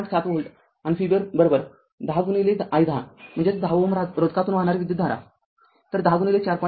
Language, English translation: Marathi, 7 volt and V b is equal to your 10 into i 10 ohm, we are writing that is current flowing through 10 ohm resistance; so, 10 into 4